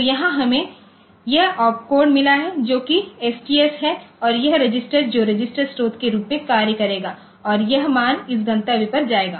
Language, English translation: Hindi, So, here, we have got this opcode which is that STS and this register which register will be acting as the source and that value will be going to this destination